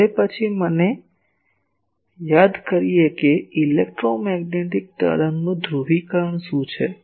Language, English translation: Gujarati, Now then let me recall what is the polarisation of an wave electromagnetic wave